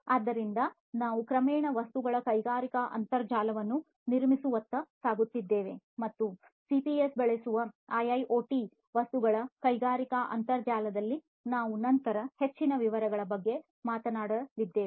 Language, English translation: Kannada, So, we are gradually leaping forward towards building industrial internet of things and in, you know, the industrial internet of things IIoT using CPS, we are going to talk about in further detail later on